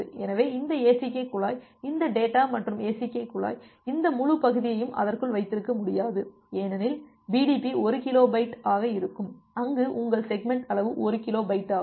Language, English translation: Tamil, So, this ACK pipe this data plus ACK pipe it will not be able to hold this entire segment inside that because BDP comes to be 1 kilo bit where as your segment size is 1 kilo byte